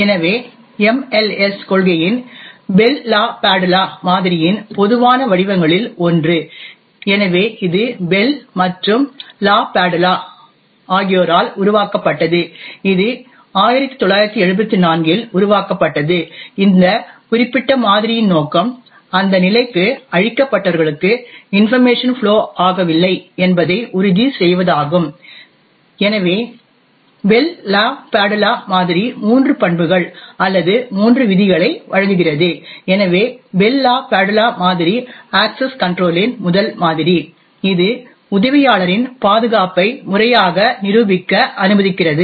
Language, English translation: Tamil, Bell LaPadula model, so this was developed by Bell and LaPadula and this was developed in 1974, the objective of this particular model is to ensure that information does not flow to those are cleared for that level, so the Bell LaPadula model provides three properties or three rules, so Bell LaPadula model is the first model for access control which allows to formally prove security in assistant